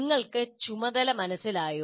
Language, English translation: Malayalam, Do you understand the task